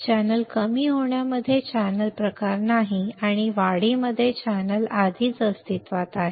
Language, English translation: Marathi, The channel is not there in depletion type the channel and in enhancement the channel is already existing